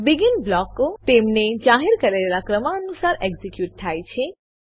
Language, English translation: Gujarati, BEGIN blocks gets executed in the order of their declaration